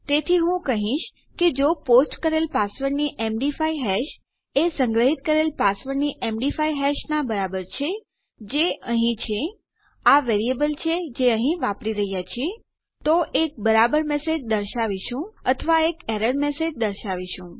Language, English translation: Gujarati, So Ill say if the MD5 hash of a posted password is equal to the MD5 hash of the stored password, which is here, this is the variable were using here, then we can display the correct message or we can display an error message